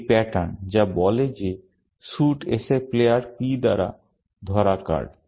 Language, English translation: Bengali, This is the pattern, which says that is the card held by player P of suit S